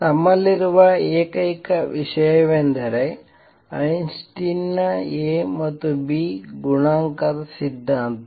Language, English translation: Kannada, The only thing that we have is Einstein’s theory of a and b coefficient